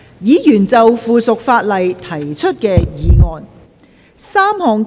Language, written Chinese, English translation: Cantonese, 議員就附屬法例提出的議案。, Members motions on subsidiary legislation